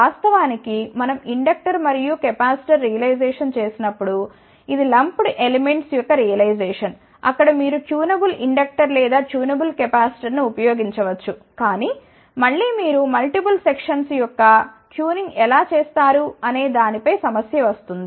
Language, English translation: Telugu, Of course, when we did the inductor and capacitor realization which was the lump element realization, there of course, you can put tunable inductor or tunable capacitor , but again the problem becomes at how you do the tuning of multiple section